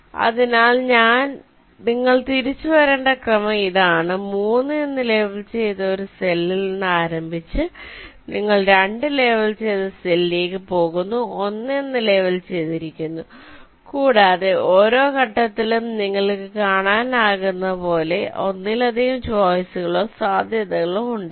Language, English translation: Malayalam, so this is the sequence you need to be back traced: starting from a cell labeled with three, you go to a cell labeled with two, labeled with one and so on, and, as you can see, at each step there can be multiple choices or possibility